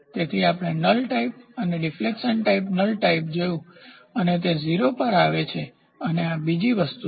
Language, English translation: Gujarati, So, we saw null type and deflection type null type is it brings it to 0 and this is the other thing